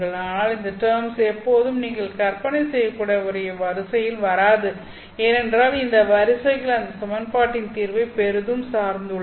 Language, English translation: Tamil, But these terms don't always come in one sequence that you might imagine because these sequences are heavily dependent on the solution of that equation